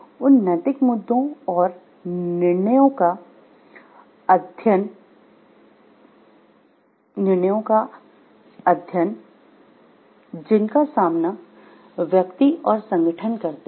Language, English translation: Hindi, The study of moral issues and decisions confronting individuals and organizations